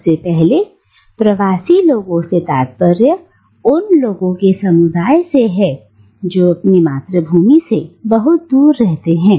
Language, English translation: Hindi, Firstly, diaspora refers to communities of people living away from what they consider to be their homelands